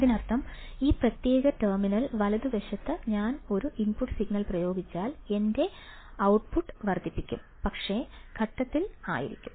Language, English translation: Malayalam, That means, if I apply an input signal at this particular terminal right my output will be amplified, but in phase right